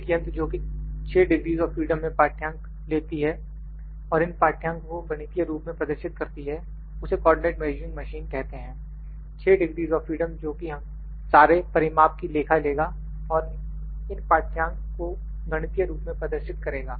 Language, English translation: Hindi, The machine which takes readings in 6 degrees of freedom and displays these readings in mathematical form is known as a co ordinate measuring machine, this 6 degrees of freedom that is all the dimensions are taken into account and displays these reading is in mathematical form